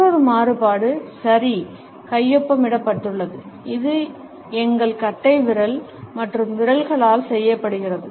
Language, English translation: Tamil, Another variation is the ‘okay’ signed, which is made with our thumb and fingers